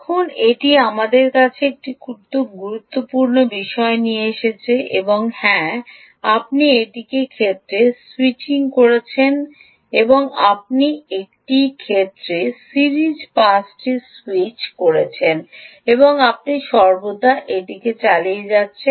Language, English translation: Bengali, ok, now this brings us to a very important thing: that, yes, you are switching in one case, you are switching the series pass in one case and you keeping it on all the time